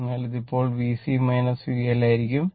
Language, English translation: Malayalam, So, this will be now V C minus V L